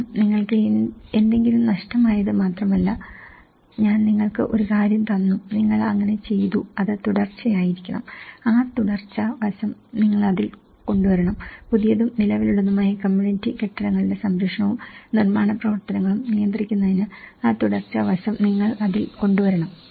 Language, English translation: Malayalam, Because it is not just you lost something, I gave you something and you are done so, it has to be continuity, you have to bring that continuity aspect in it, a regular care and construction work for new and existing community buildings